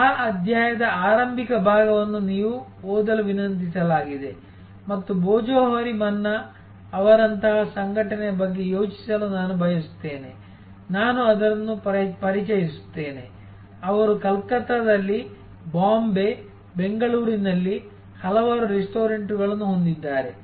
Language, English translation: Kannada, The initial part of that chapter you are requested to be read and I would like it think about that an organization like Bhojohari Manna, I introduce that, they have number of restaurants in Calcutta, in Bombay, Bangalore